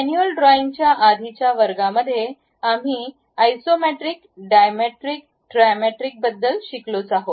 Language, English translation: Marathi, In the earlier classes at manual drawing we have learned something about Isometric Dimetric Trimetric